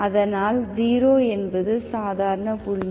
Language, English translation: Tamil, So that 0 is the ordinary point